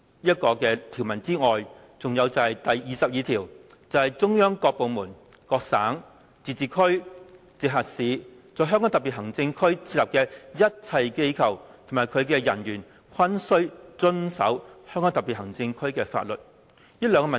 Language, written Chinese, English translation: Cantonese, "除此之外，它亦違反第二十二條，即"中央各部門、各省、自治區、直轄市在香港特別行政區設立的一切機構及其人員均須遵守香港特別行政區的法律。, Besides it also contravenes Article 22 which says All offices set up in the Hong Kong Special Administrative Region by departments of the Central Government or by provinces autonomous regions or municipalities directly under the Central Government and the personnel of these offices shall abide by the laws of the Region